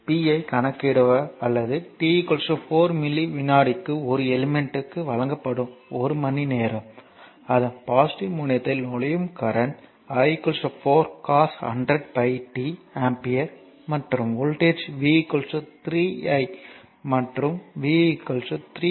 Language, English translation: Tamil, So, the it is it is hours that compute the power delivered to an element at t is equal to 4 millisecond, if the current entering its positive terminal is i is equal to 4 cos 100 pi t ampere and the voltage is v is equal to 3 i and v is equal to 3 di dt right